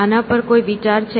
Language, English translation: Gujarati, Any thoughts on this